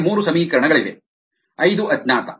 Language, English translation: Kannada, we have three equations, five unknowns